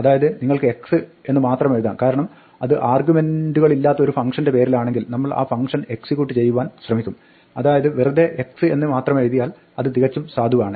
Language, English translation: Malayalam, So, you can just write x because if it is currently in name of a function which takes no arguments we will try to execute that function, so it is perfectly valid to just write x